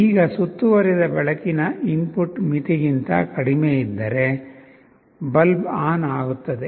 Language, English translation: Kannada, Now, if the ambient light input falls below a threshold, the bulb will turn on